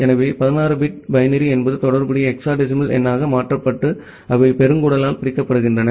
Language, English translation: Tamil, So 16 bit binary that is converted to the corresponding hexadecimal number and they are separated by a colon